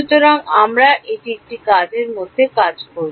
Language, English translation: Bengali, So, we will work this out in an assignment